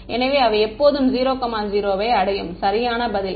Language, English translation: Tamil, So, they always reach the correct answer